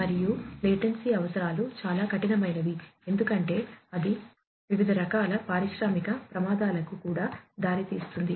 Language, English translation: Telugu, And, also the latency requirements are very stringent because that can also lead to different types of industrial hazards